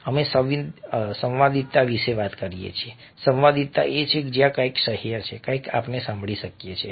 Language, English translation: Gujarati, harmony is where something is tolerable, something is something we can hear